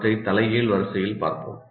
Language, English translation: Tamil, So we'll look at them in the reverse order